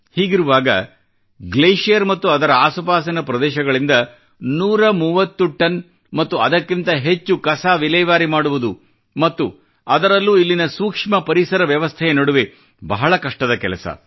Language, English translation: Kannada, In this scenario, to remove 130 tons and more of garbage from the glacier and its surrounding area's fragile ecosystem is a great service